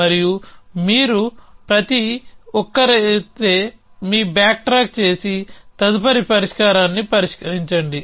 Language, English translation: Telugu, And if you each at then your backtrack and try the next resolver